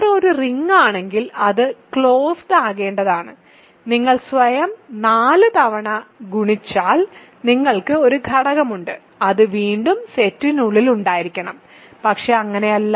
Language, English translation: Malayalam, If R is a ring it is supposed to be closed under addition, you have one element if you multiply it with itself 4 times, it is supposed to be inside the set again, but it is not